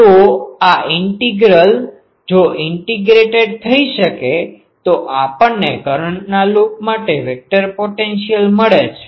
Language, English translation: Gujarati, So, this integral if can be integrated, we get the vector potential for a loop of current